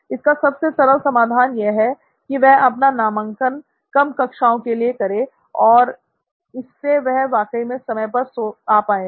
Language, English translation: Hindi, So the simplest solution for him is to enrol for very few classes and he would actually show up on time